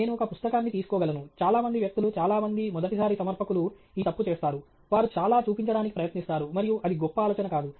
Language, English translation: Telugu, I can take a book, many people many first time presenters make this mistake, they try to show too much and that’s not a great idea